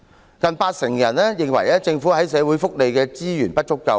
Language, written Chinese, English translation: Cantonese, 有近八成受訪者認為政府在社會福利上投放的資源不足夠。, Nearly 80 % of the respondents believe that the governments resources for social welfare are insufficient